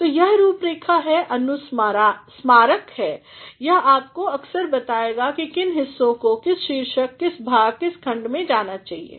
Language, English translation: Hindi, So, this outline is a reminder, it will tell you at times as to which portion should have gone to which head, which section, which segment